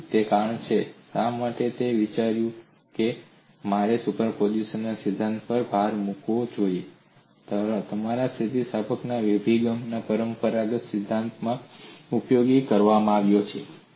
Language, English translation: Gujarati, So that is the reason, why I thought, that I should emphasize principle of superposition has been used even, in your conventional theory of elasticity approach, it is not something new